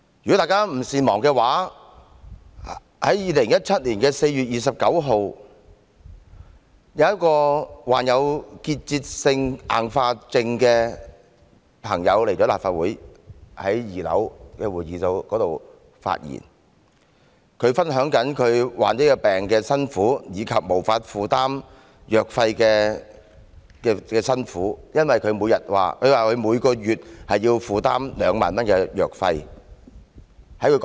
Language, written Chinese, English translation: Cantonese, 如果大家不善忘的話，在2017年4月11日，一名患有結節性硬化症的朋友到立法會2樓的會議廳發言，分享了患病的痛苦及無法負擔藥費的辛酸，因為據她所說，她每月要負擔2萬元藥費。, If Members are not forgetful they should remember that on 11 April 2017 a patient with tuberous sclerosis complex came to the conference room on the second floor of the Legislative Council Complex to give a speech sharing with Members the agony of the disease and the misery of being unable to afford the drugs . According to her the drug expenses she needed to bear amounted to 20,000 per month